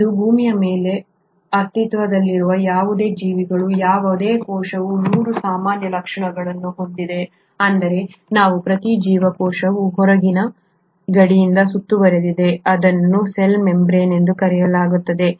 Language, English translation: Kannada, Any cell of any organism which is existing on earth today has 3 common features is that is each cell is surrounded by an outer boundary which is called as the cell membrane